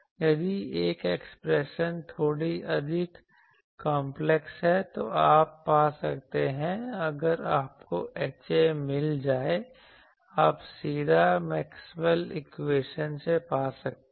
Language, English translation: Hindi, Alternately, if this expression is a bit more complex, you can find once you find H A, you can find directly from Maxwell’s equation you can put that